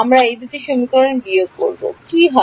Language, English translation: Bengali, We subtract these two equations, what happens